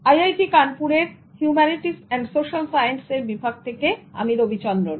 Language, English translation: Bengali, I am Ravichendran from the Department of Humanities and Social Sciences of I